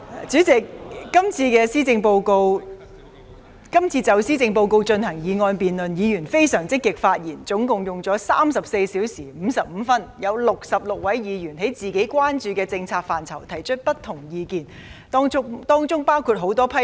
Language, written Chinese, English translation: Cantonese, 主席，今次就施政報告進行議案辯論，議員發言相當積極，辯論共計34小時55分鐘，其間有66位議員就本身關注的政策範疇提出不同意見，當中包括很多批評。, President Members have actively participated in the motion debate on the Policy Address which has expended a total of 34 hours 55 minutes . During the debate 66 Members have expressed various views including many criticisms on the policy areas of their concern